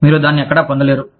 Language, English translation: Telugu, You will not get that, anywhere